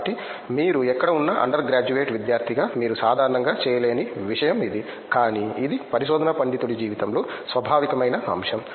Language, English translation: Telugu, So that’s something that you don’t do normally as an under graduate student wherever you are, but it’s a inherent aspect of research scholar life